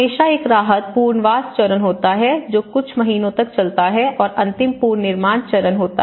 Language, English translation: Hindi, There is always a relief stage, there is a rehabilitation stage which goes for a few months and the final is the reconstruction stage